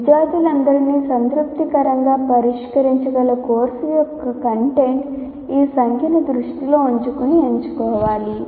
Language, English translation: Telugu, The content of the course that can be addressed satisfactorily by all students should be selected keeping this number in mind